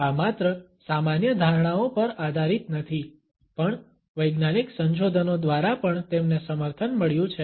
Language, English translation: Gujarati, These are based not only on common perceptions, but they have also been supported by scientific researches